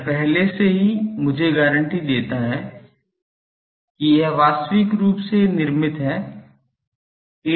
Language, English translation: Hindi, That already guaranties me that physically constructed